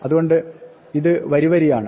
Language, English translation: Malayalam, So, this is line by line